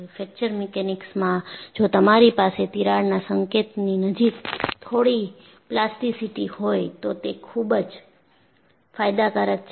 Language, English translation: Gujarati, And, in fact in Fracture Mechanics, if you have some plasticity near the crack tip, it is beneficial